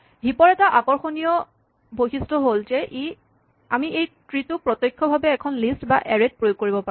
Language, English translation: Assamese, One very attractive feature of heaps is that we can implement this tree directly in a list or in an array